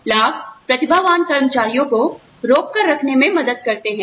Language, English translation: Hindi, Benefits help retain talented employees